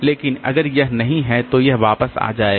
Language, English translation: Hindi, But if it is not there then it will come back